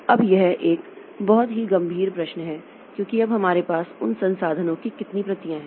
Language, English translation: Hindi, Now that's a very serious question because now how many copies of those resources do we have